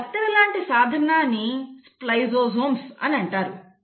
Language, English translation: Telugu, Now this scissors are called as “spliceosomes”